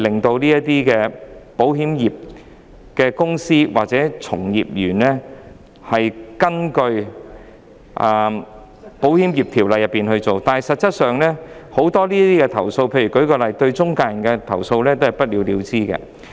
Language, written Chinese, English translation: Cantonese, 在名義上，保險公司和保險從業員須根據《保險業條例》行事，但實際上，許多投訴個案，最後也是不了了之的。, On the surface insurance companies and insurance agents are required to act according to the Insurance Ordinance Cap . 41 but actually a lot of complaints have been left unsettled